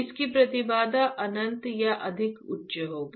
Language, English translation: Hindi, Impedance of this would be infinite or extremely high, why